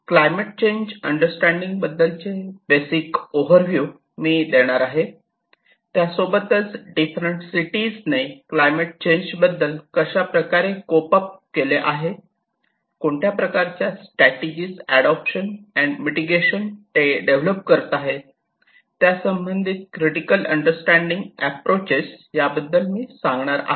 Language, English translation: Marathi, So, I will give you an overview of the basics of climate change understanding and I will also talk about how different cities are able to cope up with it, and what kind of strategies of for adaptation and mitigation they are developing and we will have a little critical understanding of all these approaches